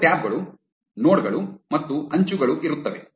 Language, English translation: Kannada, There will be two tabs, nodes and edges